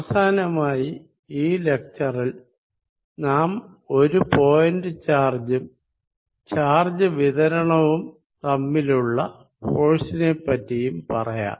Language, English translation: Malayalam, And finally, in this lecture we are going to talk about the force between a point charge and a charge distribution